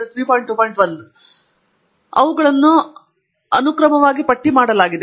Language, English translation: Kannada, 1 and they are listed in alphabetical order